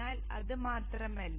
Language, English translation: Malayalam, But it is not just that